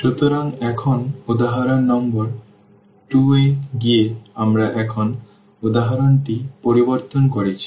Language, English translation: Bengali, So, now going to the example number 2, we have changed the example now